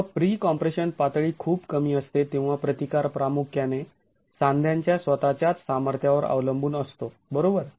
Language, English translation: Marathi, When pre compression levels are very low, the resistance is going to depend primarily on the sheer strength of the joint itself